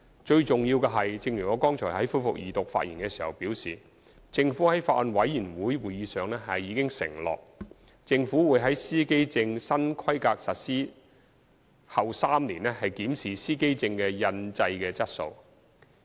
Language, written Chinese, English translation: Cantonese, 最重要的是，正如我剛才就恢復二讀辯論發言時表示，政府在法案委員會會議上已承諾，政府會於司機證新規格實施後3年檢視司機證的印製質素。, Most importantly as I said upon resumption of the Second Reading debate just now the Government has undertaken at the meeting of the Bills Committee that it would review the printing quality of driver identity plates three years after the introduction of new specifications